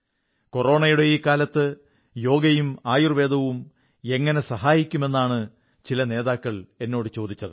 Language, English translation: Malayalam, Many leaders asked me if Yog and Ayurved could be of help in this calamitous period of Corona